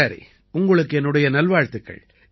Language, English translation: Tamil, Okay, I wish you all the best